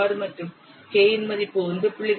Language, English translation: Tamil, 6, value of K is 1